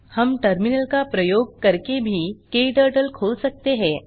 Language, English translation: Hindi, We can also open KTurtle using Terminal